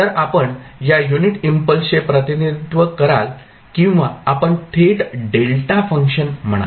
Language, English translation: Marathi, So, this is how you will represent the unit impulse or you will say direct delta function